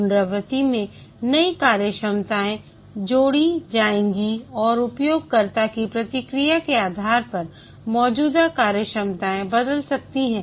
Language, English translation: Hindi, In iteration, new functionalities will be added and also the existing functionalities can change based on the user feedback